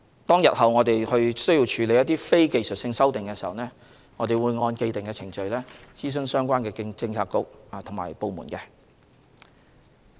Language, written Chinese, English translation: Cantonese, 待日後我們須處理非技術性修訂時，我們會按既定程序諮詢相關政策局及部門。, When the need to deal with non - technical amendments arises in the future we will consult the relevant policy bureauxdepartments in accordance with the established procedures